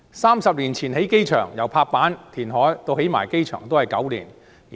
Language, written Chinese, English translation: Cantonese, 三十年前興建新機場，由拍板、填海到新機場落成只需9年。, Thirty years ago the approval reclamation and completion of the new airport took nine year only